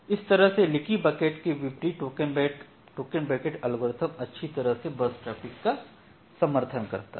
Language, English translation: Hindi, So, that way this kind of token bucket algorithm in contrast to leaky bucket it is supporting burstiness well